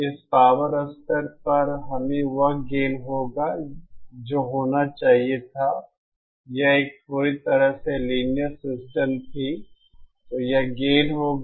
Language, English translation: Hindi, At this power level we will have the gain which should have been, had it been a perfectly linear system then this would have been the gain, 1 dB less than this